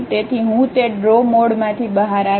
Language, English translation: Gujarati, So, I will come out of that draw mode